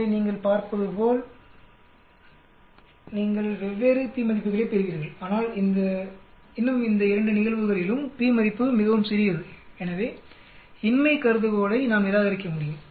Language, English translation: Tamil, So you can see you will get different p values but still in both the cases and p value is very small so we can reject the null hypothesis